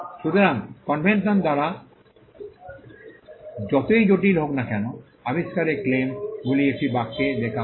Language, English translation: Bengali, So, by convention, no matter how complicated, the invention is claims are written in one sentence